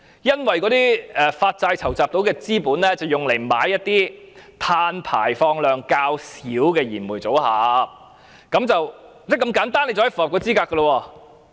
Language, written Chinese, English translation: Cantonese, 因為發債籌集所得的資金是用作購買一些碳排放量較小的燃煤機組，就這麼簡單便可以符合資格了。, Because the funds raised by the issuance of bonds are used for buying coal - fired generating units with less carbon emission . They can be qualified in such a simple way